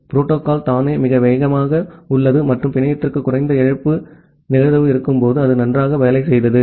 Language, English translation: Tamil, The protocol itself is very fast and it worked nicely when the network has a low loss probability